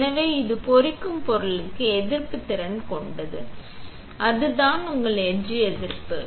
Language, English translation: Tamil, So, it is resistant to the etching material, right, that is your etch resistance